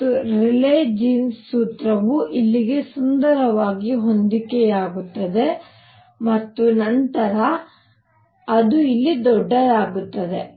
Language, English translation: Kannada, And the Rayleigh Jeans formula matches beautifully out here and, but then it becomes large here